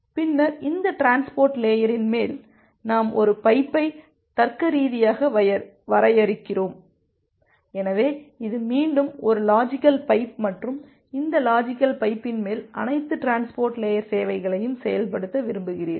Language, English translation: Tamil, Then on top of this transport layer we logically define a pipe, so this is again a logical pipe and you want to implement all the services transport layer services on top of this logical pipe